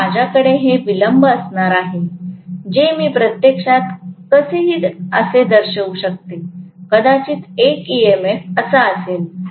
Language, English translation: Marathi, So I am going to have these delay alpha which I can actually show it somewhat like this, maybe one EMF is like this